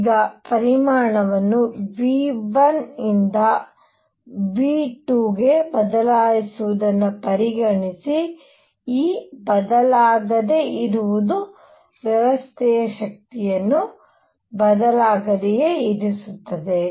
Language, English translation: Kannada, Now consider change the volume from V 1 to V 2 keeping E unchanged keeping the energy of the system unchanged